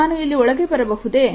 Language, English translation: Kannada, Can I get in here please